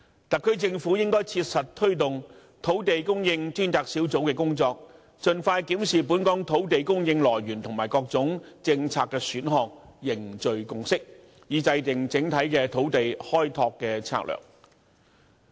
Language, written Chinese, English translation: Cantonese, 特區政府應切實推動土地供應專責小組的工作，盡快檢視本港土地供應來源和各種政策的選項，凝聚共識，以制訂整體土地開拓策略。, The SAR Government should practically take forward the work of the Task Force on Land Supply expeditiously review the options of sources of land supply and various policies in Hong Kong and forge a consensus with a view to formulating an overall land development strategy